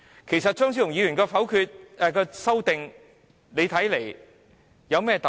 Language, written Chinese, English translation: Cantonese, 其實，張超雄議員的修正案有何特別？, What is actually so special about Dr Fernando CHEUNGs amendments?